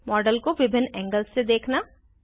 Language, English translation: Hindi, View the model from various angles